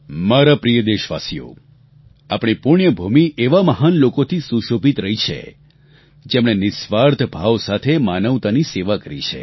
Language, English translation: Gujarati, My dear countrymen, our holy land has given great souls who selflessly served humanity